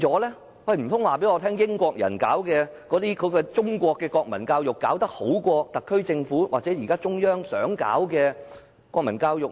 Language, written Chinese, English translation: Cantonese, 難道英國人推行的中國國民教育比特區政府或中央現時想推行的國民教育好嗎？, Can we say that the Chinese national education introduced by the British is better than the national education which the SAR Government and the Chinese Authorities want to introduce now?